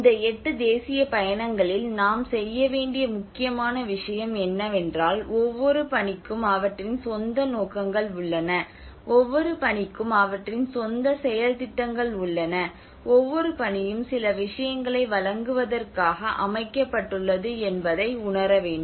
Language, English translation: Tamil, We mentioned about these eight missions, but the important thing one we have to do is every mission is have their own objectives, every mission has their own action plans, every mission has set up to deliver certain things